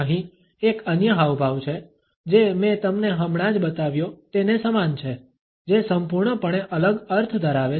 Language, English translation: Gujarati, Here is another gesture that is very similar to the one I have just shown you that has a completely different meaning